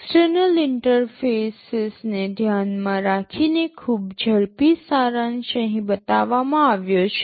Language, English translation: Gujarati, Regarding the external interfaces a very quick summary is shown here